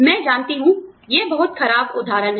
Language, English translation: Hindi, I know, this is a very poor example